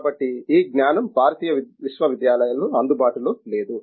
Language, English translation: Telugu, Therefore, this means this knowledge is not available in Indian universities